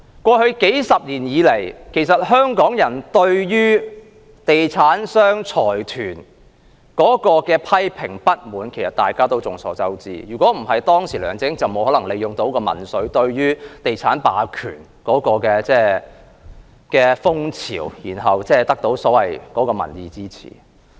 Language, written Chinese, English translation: Cantonese, 過去數十年，眾所周知，香港人一直對地產商及財團作出批評和深表不滿，否則當時梁振英也沒有可能利用民粹，趁着地產霸權的風潮獲得所謂的民意支持。, Over the past few decades it is known to all that Hong Kong people have all along criticized and expressed grave dissatisfaction with property developers and consortia otherwise LEUNG Chun - ying would not have been able to take advantage of populism and gain the so - called popular support in the wave against the hegemony of property developers back then